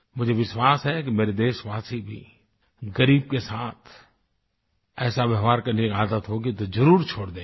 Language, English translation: Hindi, I am certain that my countrymen, if they are in the habit of behaving in this way with the poor will now stop doing so